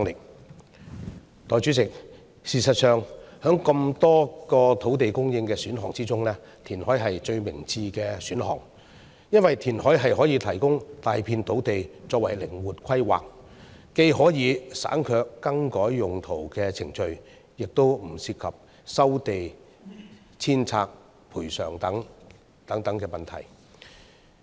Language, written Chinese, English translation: Cantonese, 代理主席，事實上，在這麼多個土地供應選項中，填海是最明智的選項，因為填海可以提供大片土地作靈活規劃，既可以省卻更改用途的程序，也不涉及收地遷拆賠償等問題。, Deputy President in fact reclamation is the most sensible choice among so many land supply options because it can provide large areas of land for flexible planning obviating the rezoning procedures and such issues as land resumption demolition and compensation